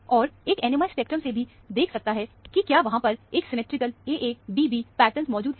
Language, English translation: Hindi, And, one can also see from the NMR spectrum, whether there is a symmetrical AA prime BB prime pattern present there